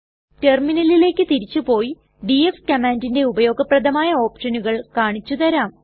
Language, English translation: Malayalam, Let us shift to the terminal, I shall show you a fewuseful options used with the df command